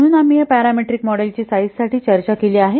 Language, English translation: Marathi, So we have already discussed this parameter models for size